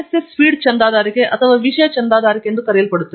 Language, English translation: Kannada, There is something called RSS feed subscription or content subscription